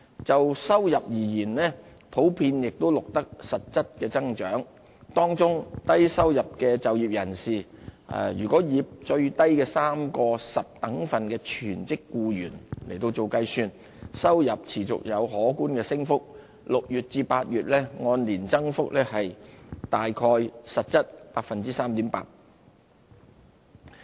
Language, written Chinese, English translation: Cantonese, 就收入而言，亦普遍錄得實質增長，當中低收入的就業人士，若以最低的3個十等分的全職僱員來計算，收入持續有可觀升幅 ，6 月至8月按年增幅大概實質是 3.8%。, Earnings generally sustained growth in real terms . Among low and middle - income employees the earnings of full - time employees of the three lowest decile groups continued to increase considerably by 3.8 % year - on - year in real terms in the third quarter